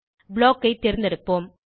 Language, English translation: Tamil, Let us select Block